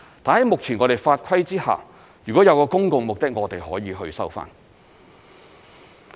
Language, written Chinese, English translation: Cantonese, 但在目前的法規之下，如果有公共目的，我們是可以去收回的。, However under the current regulation we can recover any land as long as it is justified by public purposes